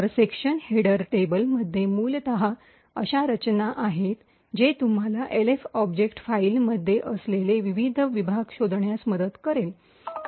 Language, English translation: Marathi, So, in the section header table, essentially there is a structure which would help you locate the various sections present in the Elf object file